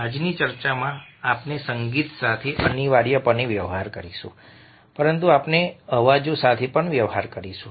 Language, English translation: Gujarati, in today's talk we will be dealing with music, essentially, but we will also be dealing with sounds